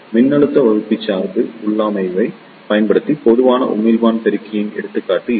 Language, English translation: Tamil, This is the example of Common Emitter Amplifier using voltage divider bias configuration